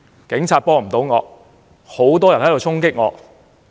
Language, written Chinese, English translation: Cantonese, 警察幫不到我，很多人衝擊我。, Police officers were unable to offer me help and many people charged at me